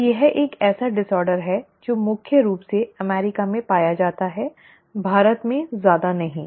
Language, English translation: Hindi, So it is one such disorder which is predominantly found in the US, not much in India